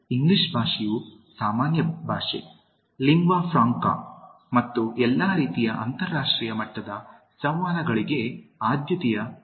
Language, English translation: Kannada, English Language as such is used as the common language, the lingua franca and the preferred medium for all kinds of international level communications